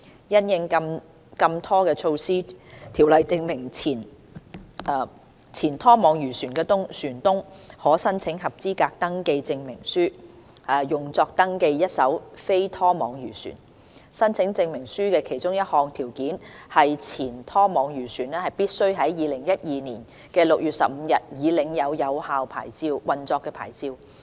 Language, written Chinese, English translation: Cantonese, 因應禁拖措施，《條例》訂明前拖網漁船的船東可申請合資格登記證明書，用作登記一艘非拖網漁船。申請證明書的其中一項條件是前拖網漁船必須在2012年6月15日已領有有效運作牌照。, In the light of the ban on trawling application for a Certificate of Eligibility for Registration CER is available to former trawler owners under the Ordinance to register a non - trawling fishing vessel provided that among others there was a valid operating licence for the former trawler on 15 June 2012